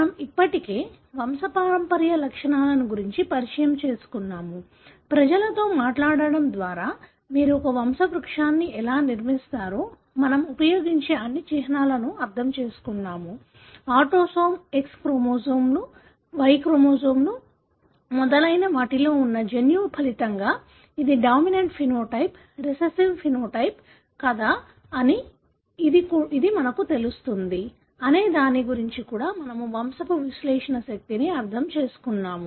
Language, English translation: Telugu, We already have had introduction to pedigree, as to how you would construct a pedigree by talking to people , understood all the symbols that we use; we also understood the power of pedigree analysis, as to whether it would tell you whether it is a dominant phenotype, recessive phenotype, resulting from a gene that is located in the autosome, X chromosomes, Y chromosomes and so on